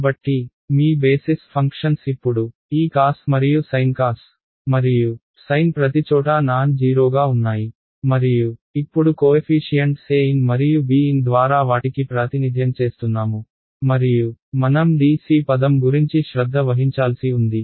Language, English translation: Telugu, So, your basis functions now have become this cos and sin cos and sin are nonzero everywhere and now I am representing them by coefficients an and b n and there is of course, a d c term that I have to take care